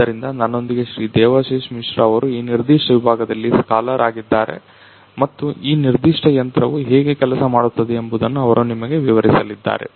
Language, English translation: Kannada, Devashish Mishra, who have been the scholar in this particular department and he is going to explain to you how this particular machine works